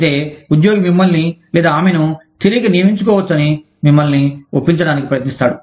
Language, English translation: Telugu, But then, the employee manages to convince you, that the, that she or he, can be re hired